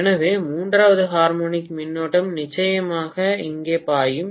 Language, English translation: Tamil, So, the third harmonic current can definitely flow here